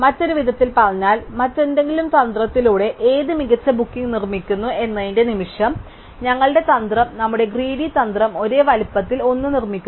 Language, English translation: Malayalam, In other words, no matter of what optimal booking is produced by some other strategy, our strategy our greedy strategy produces one which is of the same size